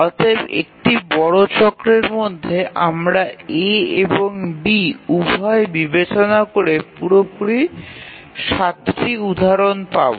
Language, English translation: Bengali, So within one major cycle we will have seven instances altogether considering both A and B